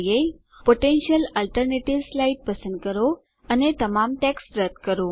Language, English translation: Gujarati, Select the slide Potential Alternatives and delete all text